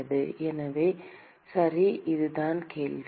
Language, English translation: Tamil, So, that is the question